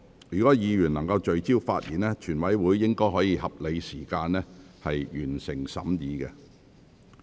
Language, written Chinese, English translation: Cantonese, 若議員能聚焦發言，全體委員會應可在合理時間內完成審議。, If Members can focus their speeches on the subject matter the committee of the whole Council should be able to finish its deliberation within a reasonable time